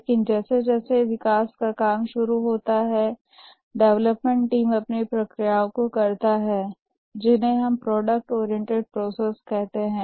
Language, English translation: Hindi, But as the development work starts, the development team carries out their own processes, those we call as product oriented processes